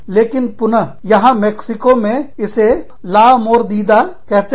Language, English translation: Hindi, But, here again, Mexico, it is called La Mordida